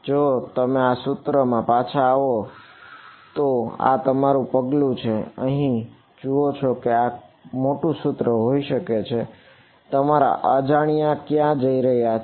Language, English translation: Gujarati, If you go back to this equation, this is your step to look at this may big equation over here where do your unknowns going